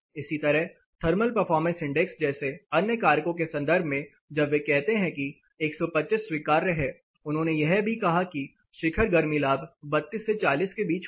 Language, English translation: Hindi, Similarly, in terms of the other factors like thermal performance index when they say 125 is allowable they also said the peak heat gain will be 32 to 40